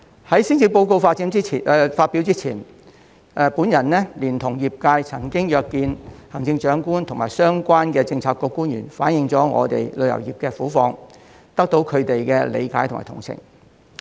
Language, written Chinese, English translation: Cantonese, 在施政報告發表前，我連同業界曾經約見行政長官及相關的政策局官員，反映我們旅遊業的苦況，得到他們的理解及同情。, Before the delivery of the Policy Address I together with those from the industry I represent went to see the Chief Executive and the related bureau officials to convey the plight of the tourism industry which was met with understanding and sympathy